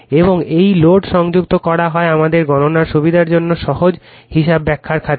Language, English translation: Bengali, And this is the load connected for the sake of our calculations easy calculations are for the sake of explanation